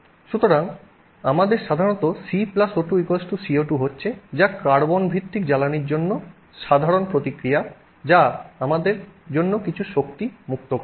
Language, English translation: Bengali, So, we are simply typically having C plus O2 giving CO2 that's the general reaction for any carbon based fuel which is releasing some energy for us